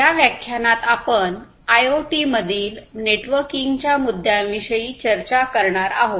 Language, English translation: Marathi, In this lecture, we are going to look at the networking issues in IoT